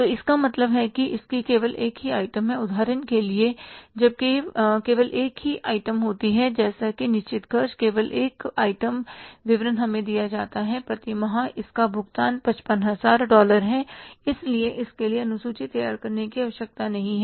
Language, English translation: Hindi, When there is only one item, say for example fixed expenses, only one item say state bit is given to us per month its payment is $55,000 so no need to prepare the schedule for that